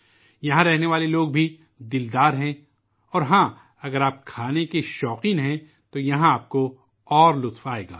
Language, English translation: Urdu, The people of Chandigarh are also large hearted and yes, if you are a foodie, you will have more fun here